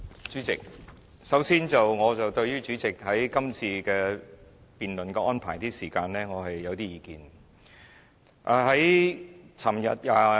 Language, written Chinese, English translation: Cantonese, 主席，首先，我對於主席今次辯論的時間安排有些意見。, Chairman first I must say I am not satisfied with the time arrangements for this debate